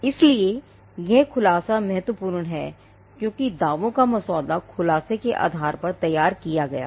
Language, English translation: Hindi, So, this the disclosure is important because the claims are drafted or carved out of the disclosure